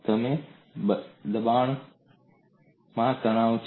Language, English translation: Gujarati, You have the shear stress